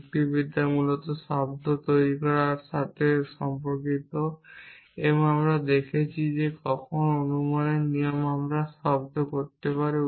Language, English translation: Bengali, Logic is basically concerned with making sound inferences and we have seen as to when can a rule of inference we sound